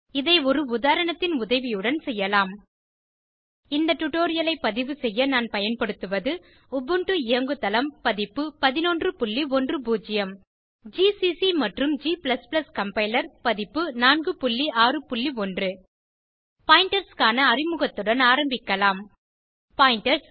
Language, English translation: Tamil, We will do this with the help of an example To record this tutorial I am using Ubuntu operating system version 11.10 gcc and g++ compiler version 4.6.1 on Ubuntu Let us start with an introduction to pointers Pointers point to the locations in memory